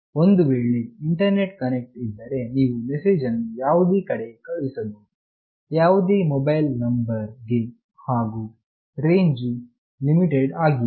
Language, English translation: Kannada, If internet connection is there, you can send the message to any place, any mobile number and range is not limited